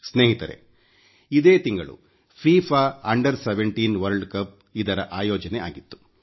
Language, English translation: Kannada, Friends, the FIFA Under17 World Cup was organized this month